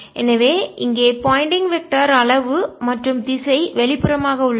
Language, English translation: Tamil, so the pointing vector this is magnitude and direction is readily awkward